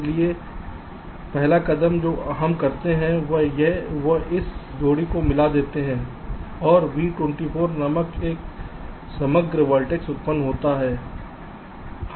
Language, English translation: Hindi, so the first step what we do: merge this sphere and generate a composite vertex called v two, four